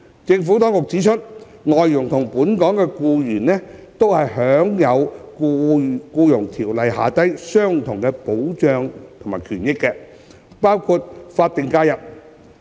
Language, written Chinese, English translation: Cantonese, 政府當局指出，外傭與本地僱員享有《僱傭條例》下相同的保障和權益，包括法定假日。, According to the Administration like local employees FDHs enjoy equal and full protection and entitlements under the Employment Ordinance including SHs